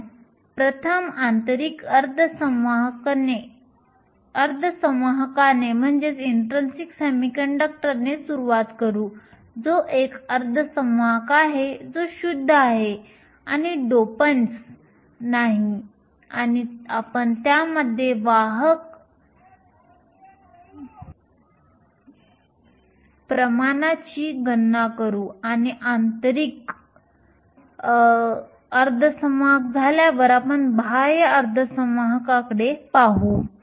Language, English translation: Marathi, We will first start with an intrinsic semiconductor, which is a semiconductor which is pure and no dopends and we will calculate the carrier concentration in that and after we are done with intrinsic we will move on to extrinsic semiconductors